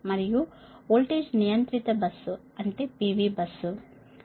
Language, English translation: Telugu, and voltage controlled bus, that is p v s right